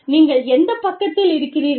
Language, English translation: Tamil, Which side are you on